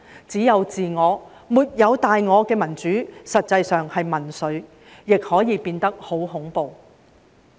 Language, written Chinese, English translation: Cantonese, 只有自我，沒有大我的民主，實際上是民粹，亦可以變得十分恐怖。, Democracy which only serves the interests of individuals but not the greater good is actually populism and may become very terrifying